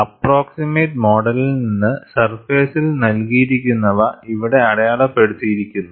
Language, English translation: Malayalam, From the approximate model, what is given in the surfaces marked here